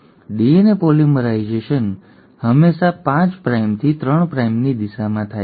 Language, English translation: Gujarati, The DNA polymerisation always happens in the direction of 5 prime to 3 prime